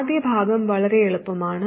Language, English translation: Malayalam, First part is very easy